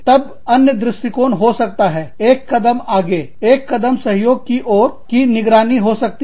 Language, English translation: Hindi, Then, the other approach could be, one step further, one step towards a collaboration, would be monitoring